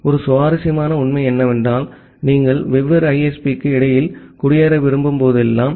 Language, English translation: Tamil, One interesting fact is whenever you want to migrate between different ISP